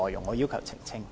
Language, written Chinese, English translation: Cantonese, 我要求作出澄清。, I wish to make a clarification